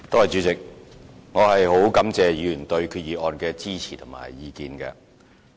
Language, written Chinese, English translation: Cantonese, 主席，我感謝議員對決議案的支持及意見。, President I am very grateful to Members for their supporting the resolution and expressing their views on it